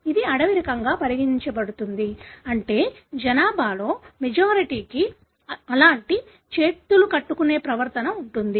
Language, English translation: Telugu, This is considered to be wild type, meaning the majority in the population would have such clasping behavior